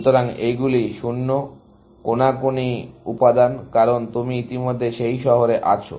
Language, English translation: Bengali, So, these are 0s; the diagonal elements, because you are already in that city